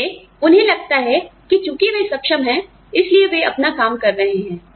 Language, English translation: Hindi, So, they feel that, since they are competent, they are doing their work